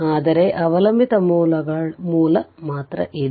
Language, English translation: Kannada, So, only dependent source is there